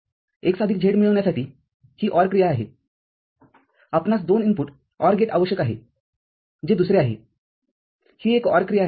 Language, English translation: Marathi, This is OR operation to achieve x plus z, we need a two input OR gate that is another this is a OR operation